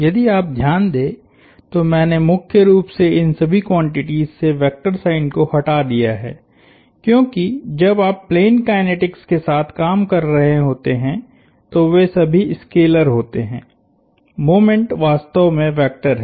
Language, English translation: Hindi, If you notice I have dropped the vectors signs from all of these quantities primarily, because they are all scalars when you are dealing with plane kinetics, the moment is the vector truly